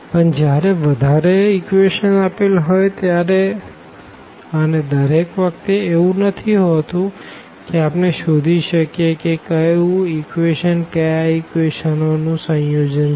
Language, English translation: Gujarati, But, when we have more equations and this is not always the case that we can identify that which equation is a combination of the others for example, example